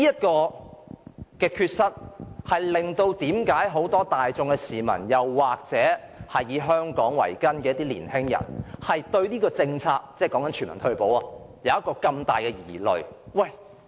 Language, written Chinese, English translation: Cantonese, 這缺失令很多市民或以香港為根的年青人對推行全民退休保障政策有很大疑慮。, Owing to this deficiency many people or youngsters who perceive Hong Kong as their root are gravely concerned about the implementation of universal retirement protection